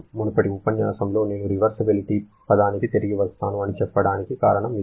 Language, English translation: Telugu, In the previous lecture, I mentioned that I shall be coming back to the term irreversibility